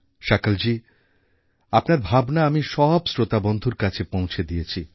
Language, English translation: Bengali, Sakal ji, I have conveyed your sentiments to our listeners